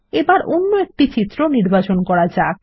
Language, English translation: Bengali, Let us select another image